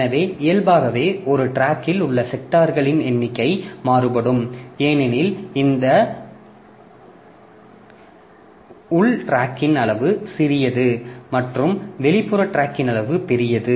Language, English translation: Tamil, So, if we, so naturally the number of sectors per track will vary because now for this inner tracks, the track size is small and for the outer track the track size is larger, okay